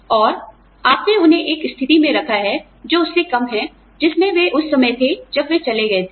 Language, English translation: Hindi, And, you put them in a position, that is lower than the one, they were at, when they left